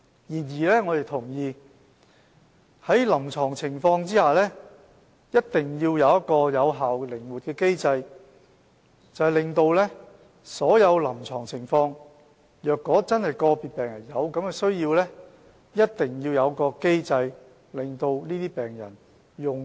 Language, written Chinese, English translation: Cantonese, 然而，我們同意在臨床情況下，一定要設有一個有效的、靈活的機制，讓所有在臨床情況下真的有需要的病人，能夠取用所需的藥物。, Nevertheless we agree that if the clinical situation warrants then an effective and flexible mechanism should be put in place with a view to ensuring access by individual patients to the drugs under the relevant clinical situation if such individual patients have the genuine need